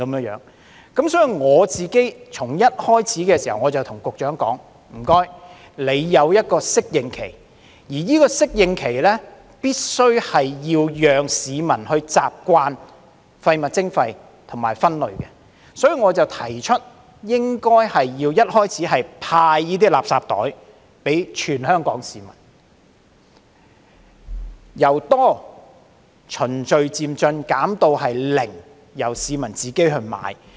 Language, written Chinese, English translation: Cantonese, 因此，我一開始便告訴局長，需要訂一個適應期，而在適應期內必須讓市民習慣廢物徵費和分類，所以我提出開始時應要派發垃圾袋給全港市民，由"多"循序漸進地減至"零"，由市民自行購買。, For this reason I told the Secretary from the very beginning that a phasing - in period should be set during which the public are allowed to get used to waste charging and waste separation . As such I have proposed the distribution of designated garbage bags to all the people of Hong Kong at the beginning . The number of bags distributed should be reduced gradually from many to zero and then the public will have to buy the bags on their own